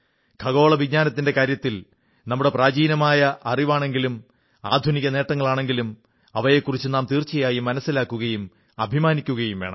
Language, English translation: Malayalam, Whether it be our ancient knowledge in astronomy, or modern achievements in this field, we should strive to understand them and feel proud of them